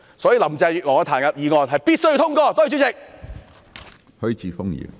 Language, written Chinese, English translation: Cantonese, 所以，林鄭月娥的彈劾議案是必須通過的，多謝主席。, Hence the motion to impeach Carrie LAM must be passed . Thank you President